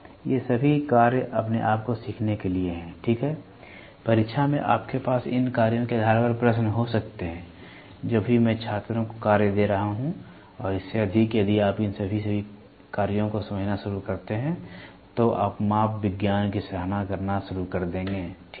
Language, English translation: Hindi, These are all tasks for yourself learning, ok, in the examination you can have questions based on these tasks, whatever I have been giving tasks to students and more than that if you start understanding all these tasks, ok, then you will start appreciating the measurement science, ok